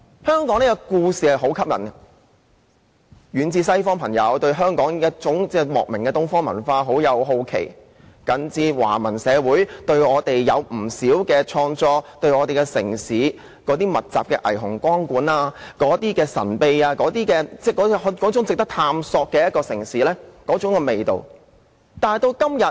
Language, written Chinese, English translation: Cantonese, 香港的故事很吸引，遠在西方的朋友，對香港那種莫名的東方文化感到好奇，就近的華文社會有不少創作以我們為題，他們對我們城市密集的霓虹光管，被那種神秘、值得探索的城市味道吸引。, Our friends in the faraway West are curious about the Eastern culture of Hong Kong which they do not understand . The Chinese - language communities around us also have many creative works about us . They are attracted by the myriads of neon lights of our city